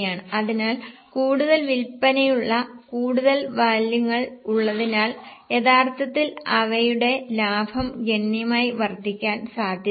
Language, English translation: Malayalam, So, with more volumes, that is with more sales, actually their profits are likely to increase substantially